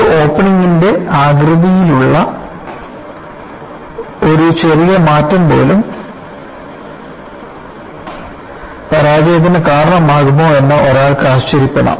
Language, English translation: Malayalam, One can wonder whether, even a small change in the shape of an opening can cause failure